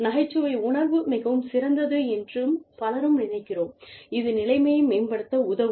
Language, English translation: Tamil, Many times, we think, our sense of humor is so great, that it can help improve the situation